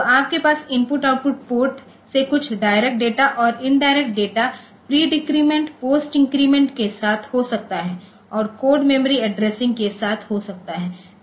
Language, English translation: Hindi, So, you can have some from the input output port addresses the data direct data indirect with pre and data indirect can also be with pre decrement post increment type of thing and code memory addressing